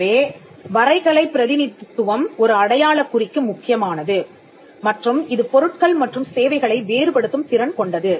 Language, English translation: Tamil, So, graphical representation is key for a mark and which is capable of distinguishing goods and services